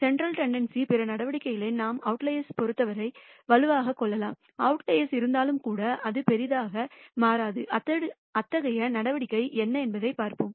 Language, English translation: Tamil, We can de ne other measures of central tendency which are robust with respect to the outliers, even if the outlier exists, it does not change by much and we will see what that such a measure is